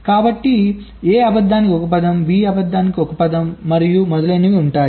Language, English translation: Telugu, so there will be one word for lying a, one word for lying b, and so on